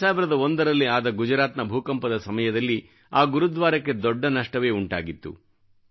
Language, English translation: Kannada, This Gurudwara suffered severe damage due to the devastating earth quake of 2001 in Gujarat